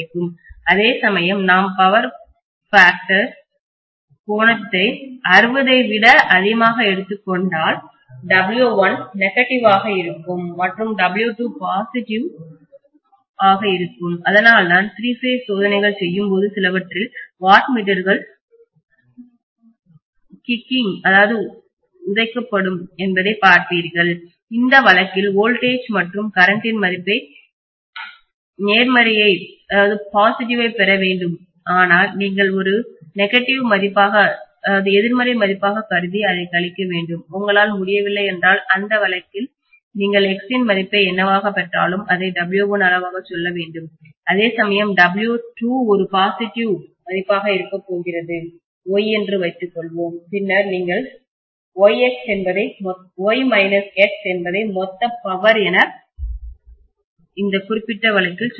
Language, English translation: Tamil, Whereas if I am going to have the power factor angle to be greater than 60, W1 will be negative and W2 is going to be positive, that is why you will see that in some of the three phase experiments when you done of the watt meters might be kicking back, so in which case was either the voltage or the current you will be able to get a positive reading but that you have to treat as a negative value and subtract it, you can not, in that case you have to say W1 magnitude whatever you get the some value X, whereas W2 is going to be a positive value, let us say Y, then you are going to say Y minus X is the net power in that particular case, right